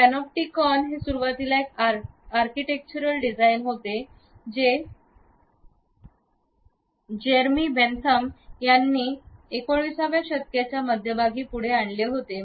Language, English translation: Marathi, The Panopticon is initially an architectural design which was put forth by Jeremy Bentham in the middle of the 19th century